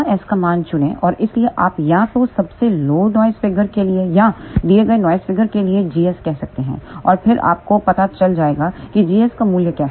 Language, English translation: Hindi, Choose the value of gamma s and hence you can say g s either for the lowest noise figure or for given noise figure and then you will know what is the value of g s